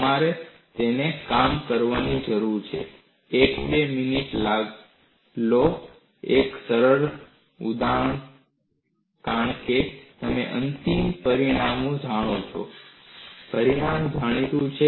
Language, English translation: Gujarati, You need to work it out; take a minute or two; it is fairly simple because the final result; the result is known